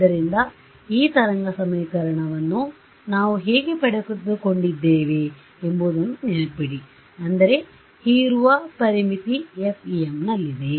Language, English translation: Kannada, So, remember how we have derived the this wave equation I mean the absorbing boundary condition is in FEM